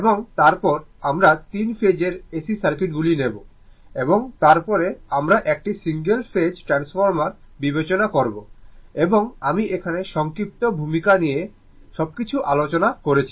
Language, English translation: Bengali, And then, we will take that your three phase AC circuits and after that, we will consider single phase transformer and I and in the brief introduction, everything has been discussed